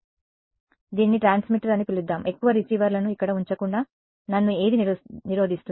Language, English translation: Telugu, So, let us call this is the transmitter; what prevents me from putting more receivers over here